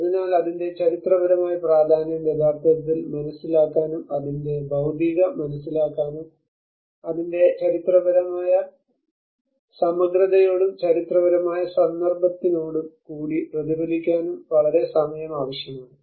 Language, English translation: Malayalam, So it needs a very longer time to actually understand its historical significance, understand its materiality and then reflect back with its historic integrity and within its historic context